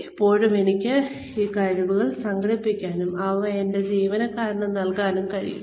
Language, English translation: Malayalam, By the time, I am able to organize those skills, and deliver them, give them to my employees